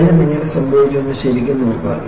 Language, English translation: Malayalam, And really, look at how the failure happened